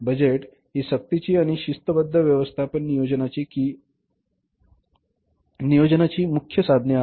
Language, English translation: Marathi, Budgets are the chief devices for compelling and disciplining management planning